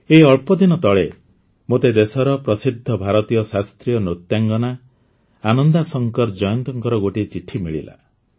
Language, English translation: Odia, Recently I received a letter from the country's famous Indian classical dancer Ananda Shankar Jayant